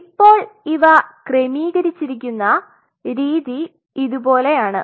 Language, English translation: Malayalam, Now the way they are arranged is something like this